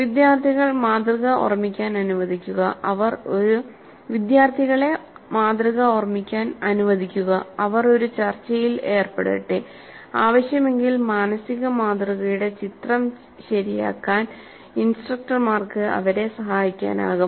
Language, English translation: Malayalam, Let the students recall the model and let them engage in a discussion and instructors can help them correct the picture of the mental model if necessary